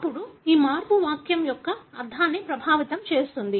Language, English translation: Telugu, Then this change affects the meaning of the sentence